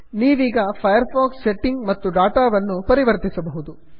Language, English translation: Kannada, You can now modify the firefox settings and data